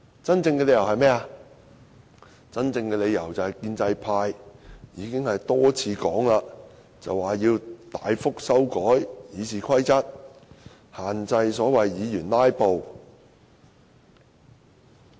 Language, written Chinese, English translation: Cantonese, 真正的理由是，正如建制派已經多次說明，要大幅修改《議事規則》，限制議員"拉布"。, The real reason is as indicated by the pro - establishment camp time and again they intend to substantially amend the Rules of Procedure and prohibit Members from filibustering